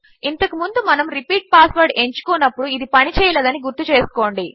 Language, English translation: Telugu, Remember it didnt work before when we didnt chose a repeat password